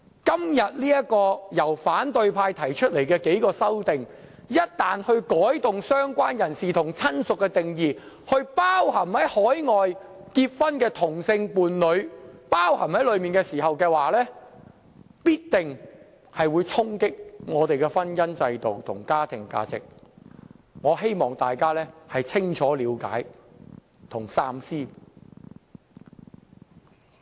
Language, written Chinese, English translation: Cantonese, 今天由反對派提出的數項修正案，將"相關人士"和"親屬"的定義擴展至涵蓋海外結婚的同性伴侶，一旦獲得通過的話，必定會衝擊我們的婚姻制度和家庭價值，我希望大家清楚了解和三思。, The several amendments proposed by the opposition camp today to expand the definitions of related person and relative to include same - sex partners in a marriage celebrated overseas if passed will surely impact on the institution of marriage and family values . I thus implore Members to understand the issue clearly and think twice